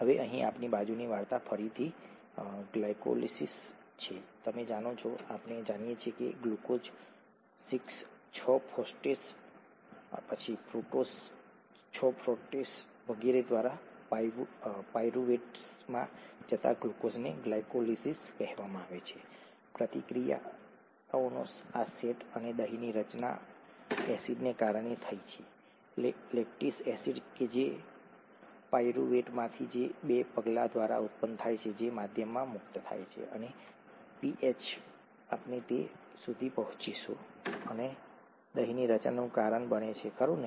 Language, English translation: Gujarati, Now our side story here is glycolysis again, you know, we know that glucose going to pyruvate through glucose 6 phosphate, fructose 6 phosphate and so on so forth, is called glycolysis, these set of reactions and the curd formation happened because of the acid, the lactic acid that is produced from pyruvate through a couple of steps, gets released into the medium and the pH we will get to that and this causes curd formation, right